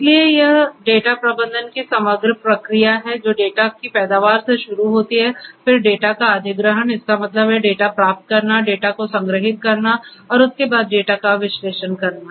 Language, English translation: Hindi, So, this is the overall process of data management it starts with the generation of the data, then acquisition of the data; that means, getting the data, storing the data and there after analysing the data